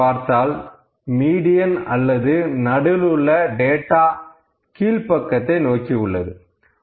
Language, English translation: Tamil, So, we can see that in this case, the median, the central data is quite towards the lower side